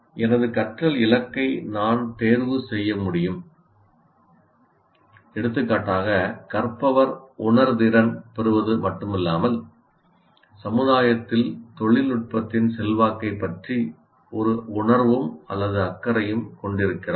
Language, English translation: Tamil, For example, one of the learning goals, the learner will have to have not merely sensitization, should have a feel for or be concerned about the influence of technology and society